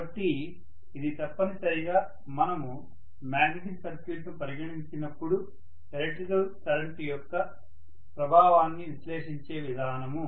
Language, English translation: Telugu, So this is essentially the way we are going to analyze the effect of an electric current when we consider a magnetic circuit